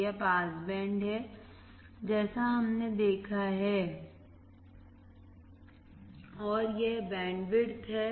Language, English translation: Hindi, This is the pass band as we have seen and this is the bandwidth